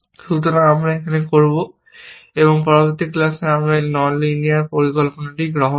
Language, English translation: Bengali, So, we will stop here, and in the next class, we will take up this non linear planning